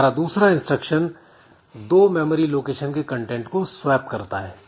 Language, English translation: Hindi, Other instruction that we have is to swap the contents of two memory locations